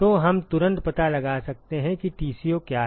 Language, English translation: Hindi, So, we can immediately find out what is TCo